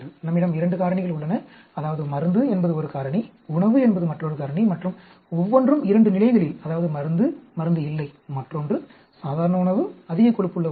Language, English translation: Tamil, We have two factors, that is, drug is one factor, diet is another factor and each at two levels, that is, no drug, drug; other one is normal diet, high fat diet